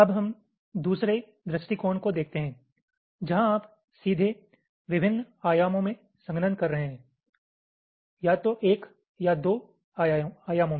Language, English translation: Hindi, now let us look at the other approach where, directly, you are doing compaction in the different dimensions, either one or two dimensions